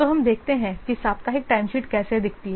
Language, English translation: Hindi, So, let's see how this weekly timesheets look like